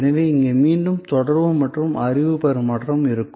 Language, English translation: Tamil, So, here again there will be some exchange of communication and knowledge